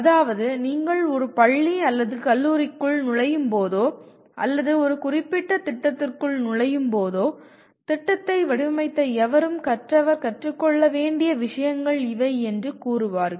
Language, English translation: Tamil, That means whenever you enter a school or a college or enter into a specific program, there is whoever has designed the program will say these are the things that the learner has to learn